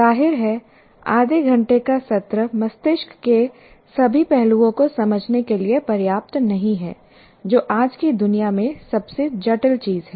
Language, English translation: Hindi, Obviously, half an hour is not sufficient to understand the all aspects of the brain, which is the most complex, what do you call, a most complex thing in the world as of today